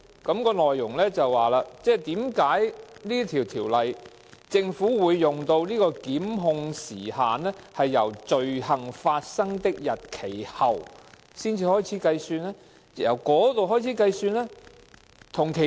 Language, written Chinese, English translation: Cantonese, 信件內容便是問就着《2017年僱傭條例草案》，為何政府會使用"罪行發生的日期後"來開始計算檢控時效呢？, In this connection the Legal Adviser of the Bills Committee has written to the Labour Department to seek clarification on why the approach of after the date of the commission of the offence was adopted by the Administration in regard to the prosecution time limit which is different from other laws